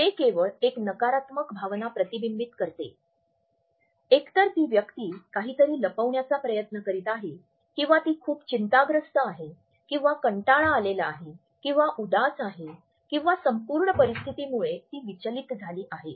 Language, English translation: Marathi, It reflects negative emotions only either the person is trying to hide something or is being very nervous or may find the content very boring or is disgusted with the whole situation etcetera